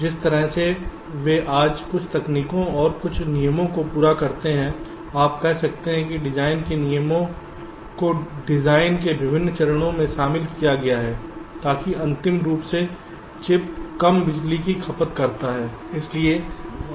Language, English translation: Hindi, some techniques and some rules you can say design rules are incorporated at various stages of the design so that out final product, the chip, consumes less power